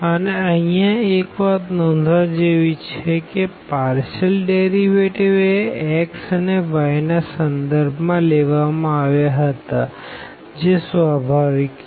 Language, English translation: Gujarati, And, here we should note there the partial derivatives were taken with respect to x and y which was natural